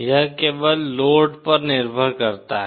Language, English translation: Hindi, It only depends on the load